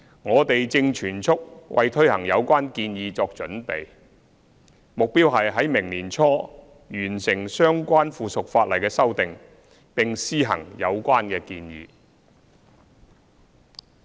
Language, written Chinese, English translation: Cantonese, 我們正全速為推行有關建議作準備，目標是於明年年初完成相關附屬法例的修訂，以便施行有關建議。, We are preparing in full speed for the implementation of the proposal . Our target is to finish amending the relevant subsidiary legislation by early next year so as to implement the proposal